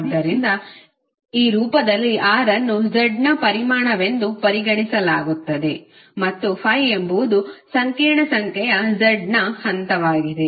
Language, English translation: Kannada, So in this form r is considered to be the magnitude of z and phi is the phase of the complex number z